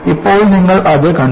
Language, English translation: Malayalam, Now, you have seen it